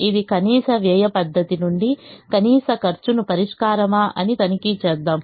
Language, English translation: Telugu, let's check whether this is the solution for the min cost from the min cost method